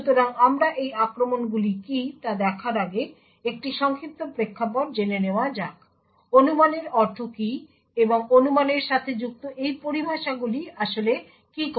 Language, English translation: Bengali, So before we go into what these attacks are, so let us have a brief background into what speculation means and what these terms connected to speculation actually do